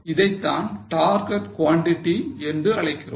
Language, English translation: Tamil, This is called as a target quantity